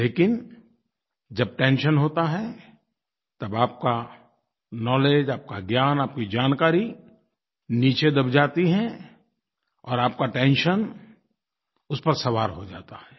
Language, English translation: Hindi, But when there is tension, your knowledge, your wisdom, your information all these buckle under and the tension rides over you